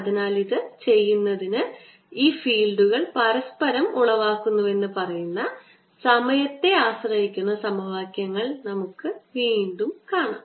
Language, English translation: Malayalam, look at the equations, time dependent equations that tell us that this fields give rise to each other